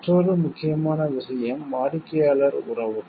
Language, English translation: Tamil, Another important point is customer relations